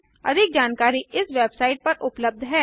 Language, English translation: Hindi, More information is available at this web site